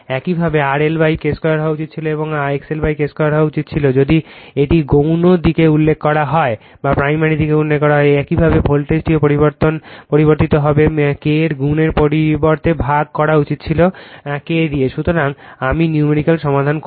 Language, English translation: Bengali, Similarly you should have been your R L upon K square and you should have been X L upon K square if it is refer to the your secondary side, similarly voltage also would have been changed, right you should have been you are divided by K instead of multiplication of K, right